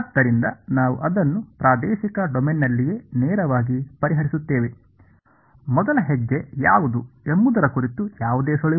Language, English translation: Kannada, So, we will solve it directly in the spatial domain itself ok, any hints on what should be the first step